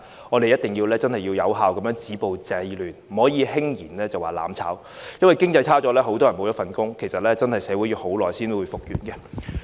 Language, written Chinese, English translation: Cantonese, 我們一定要有效地止暴制亂，不可輕言"攬炒"，因為經濟衰退會導致很多人失去工作，社會真的要花很長時間才能復原。, We must stop violence and curb disorder effectively . And one should never vow to burn together lightly because an economic recession will render many people jobless and society will really take a long time to recover